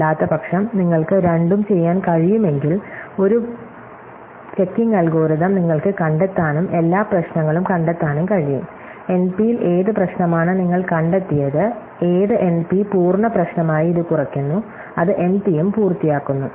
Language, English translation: Malayalam, But otherwise if can do both, you can find a checking algorithm and every problem, you have found some problem which in NP which NP complete problem which reduces to it, then it is also NP completed